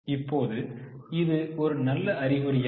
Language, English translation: Tamil, Now, is it a good sign